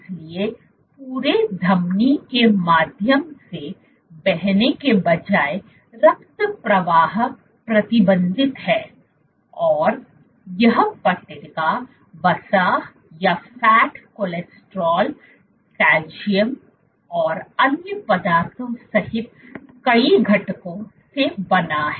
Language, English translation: Hindi, So, instead of flowing through the entire artery blood flow is restricted and this plaque is made up of multiple constituents including fat, cholesterol, calcium and other substances